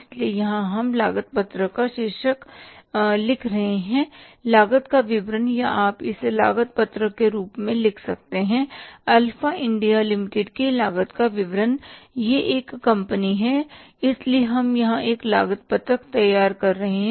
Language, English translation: Hindi, So, here we are writing the title of the cost sheet is that is the statement of cost or you can write it as the cost statement of the cost of Alpha India Limited